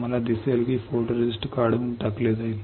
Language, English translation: Marathi, You will see that the photoresist will be stripped off